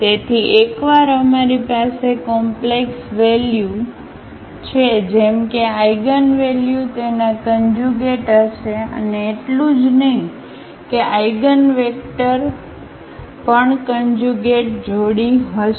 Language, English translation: Gujarati, So, the once we have the complex value as the eigenvalue its conjugate will be there and not only that the eigenvectors will be also the conjugate pairs